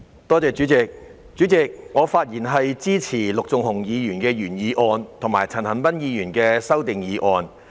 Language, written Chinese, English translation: Cantonese, 代理主席，我發言支持陸頌雄議員的原議案，以及陳恒鑌議員的修正案。, Deputy President I speak in support of Mr LUK Chung - hungs original motion and Mr CHAN Han - pans amendment